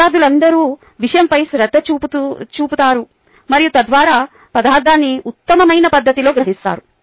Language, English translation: Telugu, they are all pay rapt attention to the material and thereby absorb the material in the best possible fashion